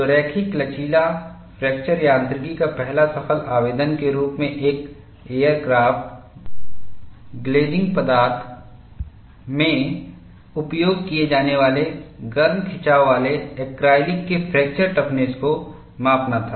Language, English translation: Hindi, So, the first successful application of linear elastic fracture mechanics was to the measurement of fracture toughness of hot stretched acrylic, used as an aircraft glazing material